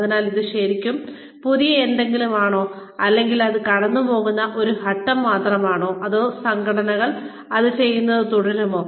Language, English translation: Malayalam, So, is that really something new, or something that is, just a passing phase, or, will organizations, continue to do that